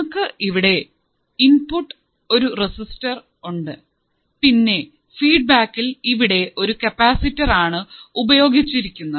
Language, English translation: Malayalam, we have a resistor as an input, but in the feedback we have used a capacitor